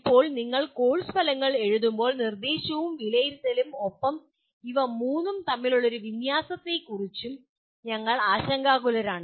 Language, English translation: Malayalam, Now when you write course outcomes we are also concerned with the instruction and assessment as well and the issue of alignment between all the three